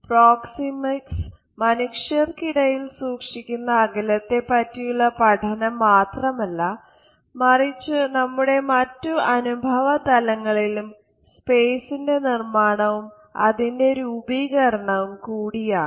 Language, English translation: Malayalam, So, we find that proxemics is not only a study of the distance, which people maintain with each other in different ways, but it is also a study of a space as it is being created and organized in other aspects of our experiences